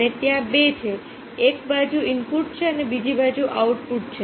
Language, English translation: Gujarati, one side, there is a input, other side, there is a output